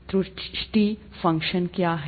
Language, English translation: Hindi, What is an error function